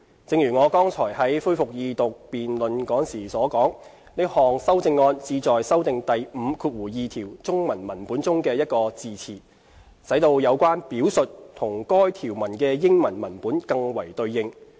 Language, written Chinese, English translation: Cantonese, 正如我剛才在恢復二讀辯論時所說，這項修正案旨在修訂第52條中文文本中的一個字詞，使到有關表述與該項條文的英文文本更為對應。, As I have said during the resumption of the Second Reading debate this amendment seeks to amend an expression in the Chinese text of clause 52 to align it with the English text